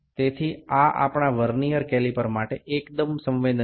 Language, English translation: Bengali, So, this is quite sensitive to our Vernier caliper